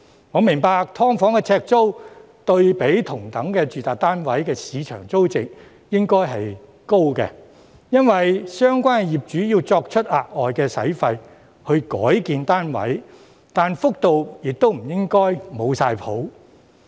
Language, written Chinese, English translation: Cantonese, 我明白"劏房"的呎租對比同等的住宅單位的市場租值應該是高的，因為相關業主要支付額外費用來改建單位，但幅度亦不應該"冇晒譜"。, I understand that the rent per square foot of SDUs should be higher than the market rent of equivalent residential units because the owners concerned have to pay additional costs for converting their units but the rate should not be exorbitant